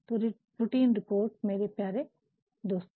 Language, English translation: Hindi, Hence routine reports my dear friend